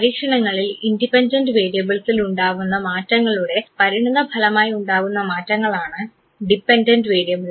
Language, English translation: Malayalam, Dependent variables are basically the changes that take place as a consequence of changes in the independent variable